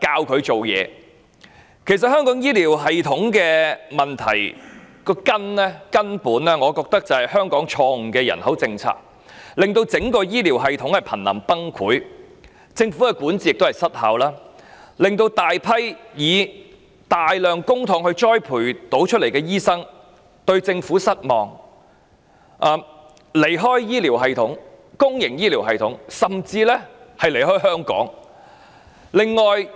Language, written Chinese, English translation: Cantonese, 我覺得香港醫療系統的根本問題，其實是香港錯誤的人口政策，令整個醫療系統瀕臨崩潰，加上政府管治失效，以致大批以大量公帑培訓的醫生對政府感到失望，因而離開公營醫療系統甚至香港。, In my view the fundamental problem with Hong Kongs healthcare system is actually Hong Kongs erroneous population policy which has brought the entire healthcare system to the brink of collapse one way or another . This coupled with ineffective governance on the part of the Government has aroused disappointment about the Government among large number of doctors who receive training with our massive spending of public money . This explains their departure from the public healthcare system or even Hong Kong